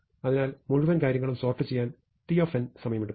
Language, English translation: Malayalam, So, it takes time t n to sort the entire thing